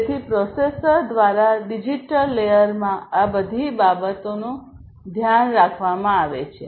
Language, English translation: Gujarati, So, all of these things are taken care of in the digital layer by the processor